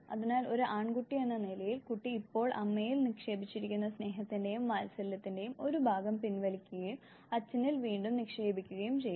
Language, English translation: Malayalam, So, as a male child, the child would withdraw part of the love and affection now invested in the mother and re invest in the father